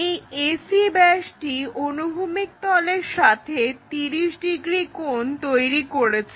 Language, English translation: Bengali, This AC diameter is making 30 degrees angle with the horizontal plane